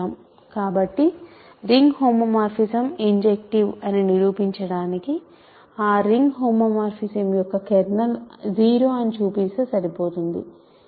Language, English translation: Telugu, So, to prove that a ring homomorphism is injective, it suffices to show that kernel of that ring homomorphism is 0